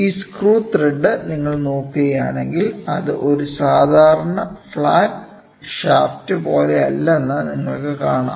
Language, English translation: Malayalam, And, if you look at it this screw thread you should understand it is not like a standard flat shaft